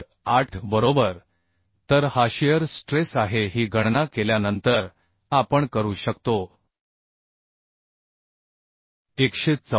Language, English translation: Marathi, 8 right so this is the shear stress This after calculating we can find out 114